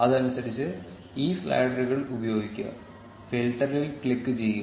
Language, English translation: Malayalam, Use this sliders accordingly and click on filter